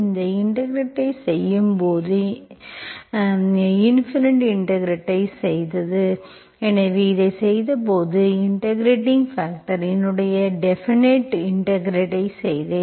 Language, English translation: Tamil, When I am doing this integration, I did the indefinite integration, so when I did this, integrating factor, I did indefinite integral, simply integral